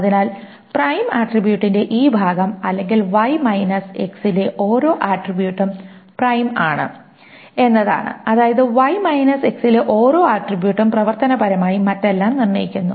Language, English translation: Malayalam, Or x is a super key, that means x is part of this prime attribute, so the thing is this is part of the pi attribute, or every attribute in y minus x is prime, that means every attribute in y minus x also functionally determines everything else